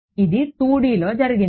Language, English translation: Telugu, This was in 2D